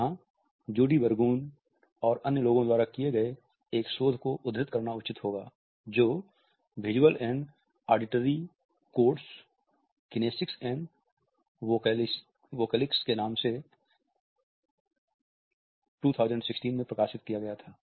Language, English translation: Hindi, It is pertinent here to quote a research by Judee Burgoon and others, entitle the visual and auditory codes kinesics and vocalics which was published in 2016